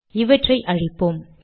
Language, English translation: Tamil, Lets delete this